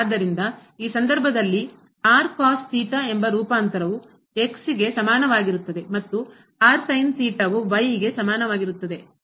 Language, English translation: Kannada, So, in this case we know the transformation that is is equal to and is equal to